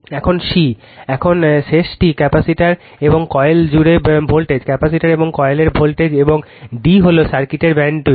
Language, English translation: Bengali, And c, now the last one voltage across the capacitor and the coil, voltage of the capacitor and the coil, and d is the bandwidth of the circuit